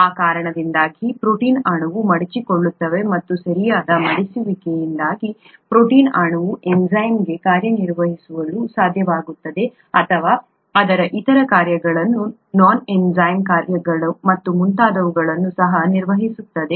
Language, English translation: Kannada, Because of that the protein molecule folds, and because of the proper folding the protein molecule is able to act as an enzyme or even carry out its other functions, non enzymatic functions and so on